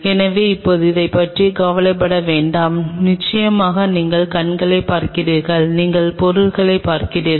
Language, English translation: Tamil, So, do not worry about that now through the eyepiece of course, you are viewing the object